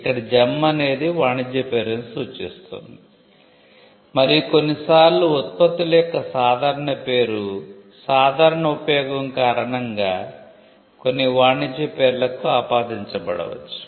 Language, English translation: Telugu, Gem refers to a trade name and sometimes products are the generic name of the products may be attributed to certain trade names because of the common use